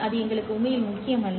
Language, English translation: Tamil, That is not really important for us